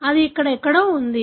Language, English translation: Telugu, That is somewhere here